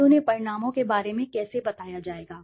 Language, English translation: Hindi, And how they will be informed of the results